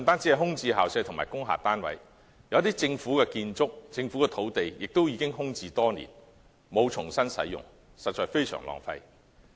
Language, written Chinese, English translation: Cantonese, 除空置校舍及工廈單位外，有政府建築物及土地亦空置多年，沒有重新使用，實在非常浪費。, Apart from vacant school premises and industrial units some government buildings and sites have been vacant for many years . It is really a great waste not to reuse them